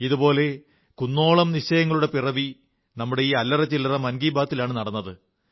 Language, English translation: Malayalam, Many a resolve such as these came into being on account of our conversations & chats through Mann Ki Baat